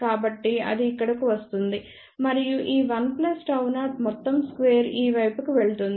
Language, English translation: Telugu, So, that comes over here and then this one plus gamma 0 whole square goes to this side